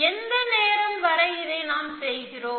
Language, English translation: Tamil, Till what time do we do that